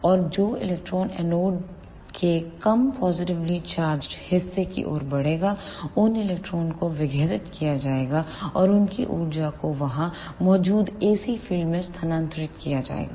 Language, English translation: Hindi, And the electrons which move towards the less positively charged part of the anode those electrons will be decelerated and their energy will be transferred to the ac field present there